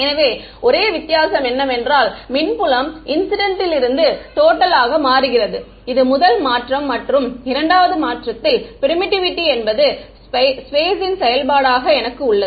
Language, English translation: Tamil, So, the only difference is that the electric field changes from incident to total that is the one change and the second change is I have permittivity as a function of space